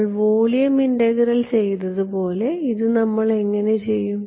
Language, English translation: Malayalam, Like we did in volume integral how did we